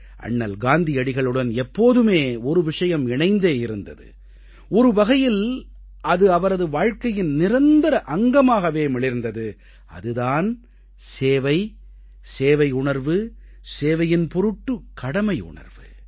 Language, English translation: Tamil, One attribute has always been part & parcel of Mahatma Gandhi's being and that was his sense of service and the sense of duty towards it